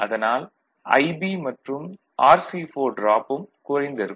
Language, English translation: Tamil, So, IB and RC4 this drop is small